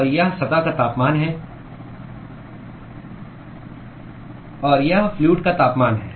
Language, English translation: Hindi, And this is the surface temperature; and this is the temperature of the fluid